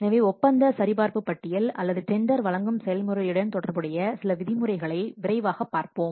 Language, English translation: Tamil, So, let's quickly see some of the what contract checklist or the some of the terms associated with the tendering process